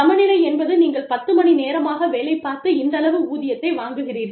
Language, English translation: Tamil, Equality means, you put in 10 hours of work, you get, this much salary